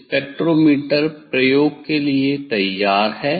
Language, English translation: Hindi, spectrometer is ready for the experiment